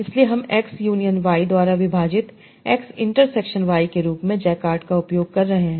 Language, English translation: Hindi, So I'm using the Jacquard as x intersection y divided by x union y